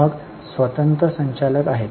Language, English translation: Marathi, Then there are board of directors